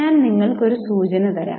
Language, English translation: Malayalam, I'll give you a hint